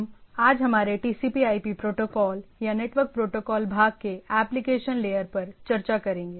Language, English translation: Hindi, So, we will be discussing today on application layer of our TCP/IP protocol or network protocol part say